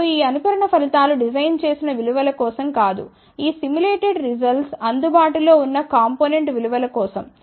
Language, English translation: Telugu, Now, these simulated results are not for the designed value, these simulated results are for the available component values